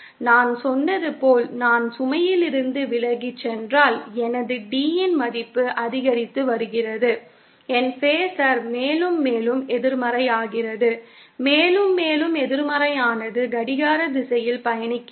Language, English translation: Tamil, As I said, if I move away from the load, then my D value is increasing, my phasor becomes more and more negative, more and more negative means clockwise traversing